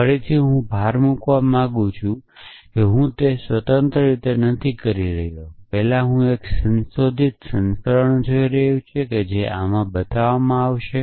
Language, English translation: Gujarati, Again I would like to emphasis, I am not doing it independently first I am now looking at a modified version, which will have this built into it essentially